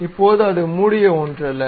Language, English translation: Tamil, Now, it is not a closed one